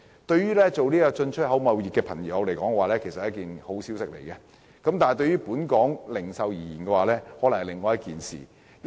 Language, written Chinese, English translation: Cantonese, 對於進出口貿易來說，這無疑是一個好消息，但對於本港零售業來說，卻是另一回事。, While it is undoubtedly good news for the importexport trade it is quite the opposite for the retail sector of Hong Kong